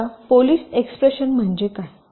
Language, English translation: Marathi, now what is ah polish expression